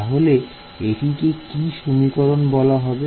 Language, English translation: Bengali, So, that is also called as which equation